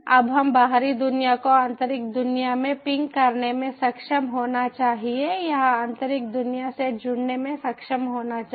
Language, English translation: Hindi, so right now this outer world should be able to ping to the inner world, or should be able to connect with the inner world